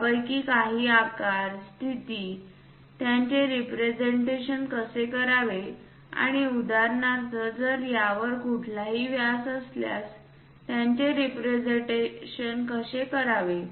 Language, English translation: Marathi, Some of them about size, position, how to represent them and for example, if there are any diameters how to represent them